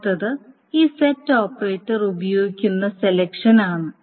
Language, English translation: Malayalam, The next is on selection using this set operators